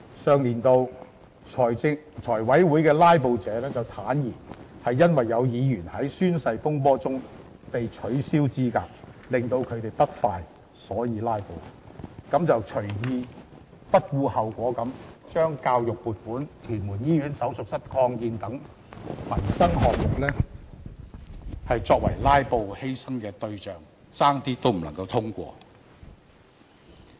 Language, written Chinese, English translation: Cantonese, 上年度財務委員會的"拉布"者便坦言是因為有議員在宣誓風波中被取消資格令他們不快而"拉布"，於是便隨意、不顧後果地把教育撥款、屯門醫院手術室擴建等民生項目作為"拉布"犧牲的對象，差點未能通過。, Those who filibustered in the Finance Committee meetings in the last session frankly said that they filibustered because they were upset about Members being disqualified in the oath - taking incident . They thus readily resorted to filibusters having no regard of the consequence . Funding proposals for education purposes and for the extension of the operating theatre block of Tuen Mun Hospital were sacrificed and almost toppled for filibustering